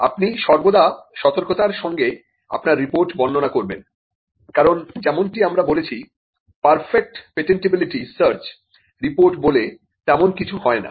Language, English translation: Bengali, You always cautiously describe your report, because you as we said there is no such thing as a perfect patentability search report